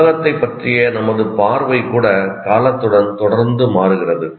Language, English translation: Tamil, Even our view of the world continuously changes with time